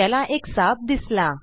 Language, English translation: Marathi, He spots a snake